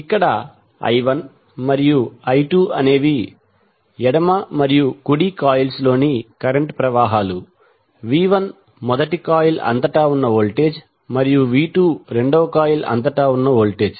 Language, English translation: Telugu, Here I 1 and I 2 are the currents on left and right coils, v 1 is the voltage across first coil and v 2 is voltage across second coil